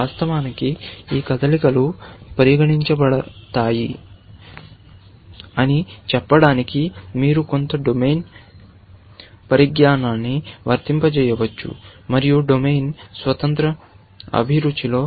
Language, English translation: Telugu, Of course, you can apply some domain knowledge to saym these moves are to be considered, and so on, but in a domain independent passion